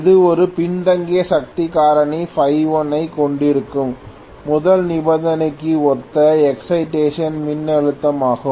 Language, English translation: Tamil, This is the excitation voltage corresponding to the first condition where I am having a lagging power factor phi 1 okay